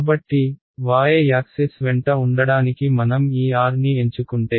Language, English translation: Telugu, So, if I chose this r to be along the y axis